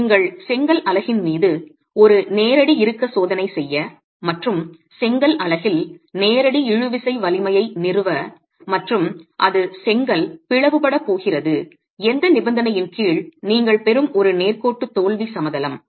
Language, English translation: Tamil, You do a direct tension test on the brick unit and establish the direct tensile strength of the brick unit and it's a straight line failure plane that you get for the condition under which the brick is going to split